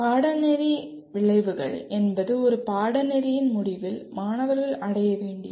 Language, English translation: Tamil, Coming to Course Outcomes, Course Outcomes are what students are required to attain at the end of a course